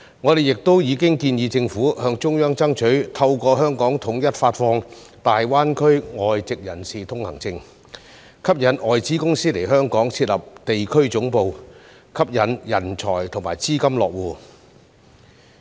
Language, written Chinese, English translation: Cantonese, 我們亦已建議政府向中央爭取透過香港統一發放大灣區外籍人才通行證，吸引外資公司來港設立地區總部，吸引人才和資金落戶。, We have also suggested the Government to seek approval from the Central Government for the issuance of a unified permit for foreign talents in GBA through Hong Kong so as to attract foreign companies to set up regional headquarters in Hong Kong and attract talents and investments to establish their bases here